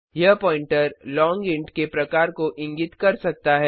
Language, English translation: Hindi, This pointer can point to type long int